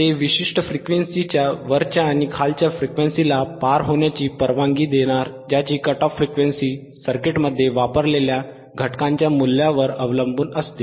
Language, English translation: Marathi, It will pass above and pass above and below particular range of frequencies whose cut off frequencies are predetermined depending on the value of the components used in the circuit